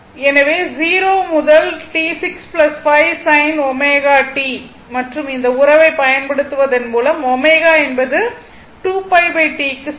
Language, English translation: Tamil, So, then what you do you you just 0 to T 6 plus 5 sin omega t dt and using this relationship omega is equal to 2 pi by T right